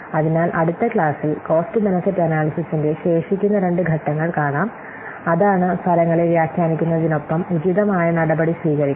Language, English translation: Malayalam, So, in the next class we will see the remaining two steps of cost benefit analysis that is what interpreting the results as well as taking the appropriate action